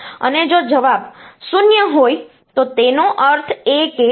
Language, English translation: Gujarati, And if the answer is 0, that means they are same